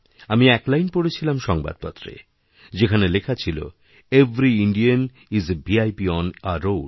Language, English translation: Bengali, I read a line in a newspaper, 'Every Indian is a VIP on the road'